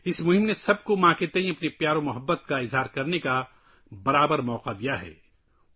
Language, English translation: Urdu, This campaign has provided all of us with an equal opportunity to express affection towards mothers